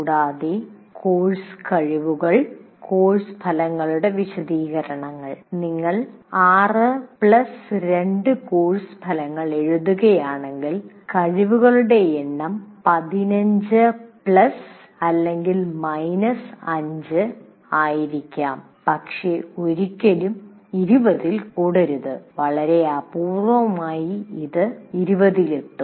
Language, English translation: Malayalam, They may be if you are writing 6 plus 2 course outcomes, the number of competencies may be around 15 plus or minus 5, but never really more than 20